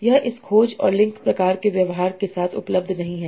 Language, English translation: Hindi, That is not available with this search and link kind of behavior